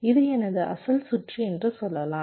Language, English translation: Tamil, first, lets say this was my original circuit